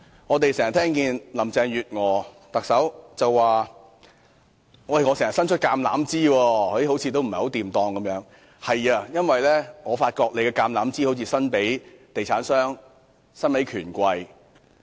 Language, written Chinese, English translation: Cantonese, 我們經常聽到特首林鄭月娥表示伸出橄欖枝，但卻似乎不太成功，因為我發現她的橄欖枝似乎較常伸向地產商及權貴。, We often hear Chief Executive Carrie LAM say that she has extended the olive branch to no avail . The reason is that in my observation it looks like her olive branch is more often extended to real estate developers as well as the rich and powerful